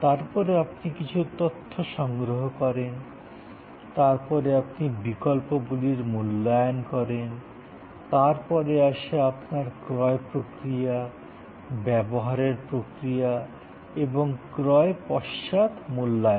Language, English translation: Bengali, Then, you gather some data information, then you evaluate alternatives, then you have the purchase process and consumption process and post purchase evaluation